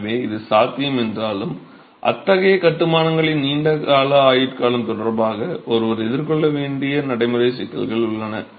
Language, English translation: Tamil, So, while this is possible, there are practical difficulties that one has to face in terms of long term durability of such constructions